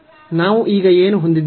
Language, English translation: Kannada, So, what do we have now